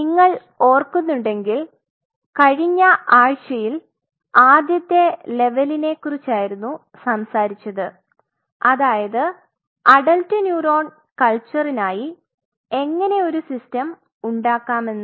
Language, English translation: Malayalam, So, last week if you remember we talked about the first level how we can create a system for adult neuronal culture